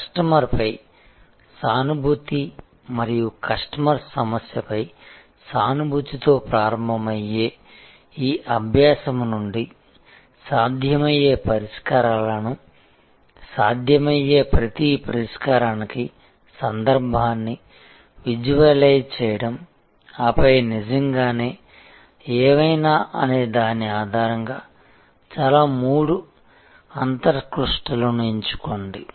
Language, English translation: Telugu, From this exercise, which is starting with empathy for the customer and empathetic probe into the customers problem visualizing the possible solutions, the context for each possible solution, then select at the most three insights really based on what if